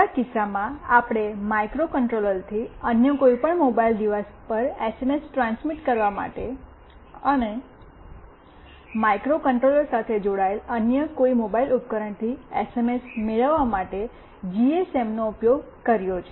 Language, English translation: Gujarati, In our case, we have used GSM for transmitting SMS from the microcontroller to any other mobile device, and to receive the SMS from any other mobile device to the GSM that is connected with the microcontroller